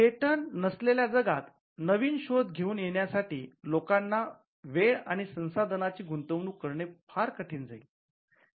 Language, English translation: Marathi, In a world without patents, it would be very difficult for people to invest time and resources in coming up with new inventions